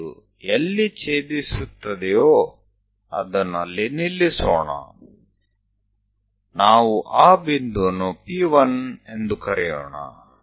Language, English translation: Kannada, So, wherever it is intersecting, let us stop it; let us call that point P 1